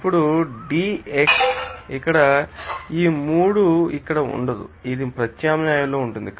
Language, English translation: Telugu, That will be you know that then D xO2 here this 3 will not be here, this is in suffix